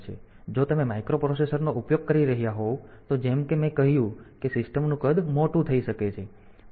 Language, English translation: Gujarati, So, if you are using microprocessor as I have said that the size of the system may become large